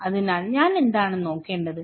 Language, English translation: Malayalam, So, what I should look into